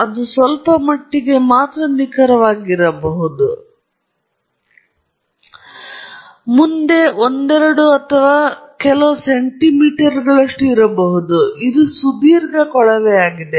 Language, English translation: Kannada, It may be off a little bit; it may be a couple of centimeters ahead or couple centimeters below, behind, because it’s a long tube